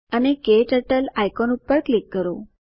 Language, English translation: Gujarati, And Click on the KTurtle icon